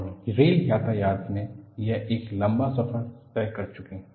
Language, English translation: Hindi, And in rail traffic, we have come a long way